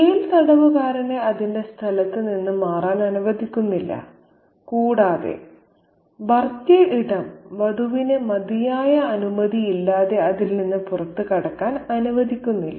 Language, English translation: Malayalam, So, the jailhouse doesn't let the prisoner move out of its space and the in law space also doesn't let the bride step out of it without due permission